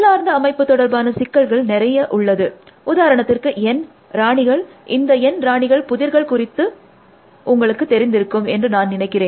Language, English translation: Tamil, But, there are problems which are configuration kind of problems, so for example, the N queens, so you must be familiar with the N queens problem, I presume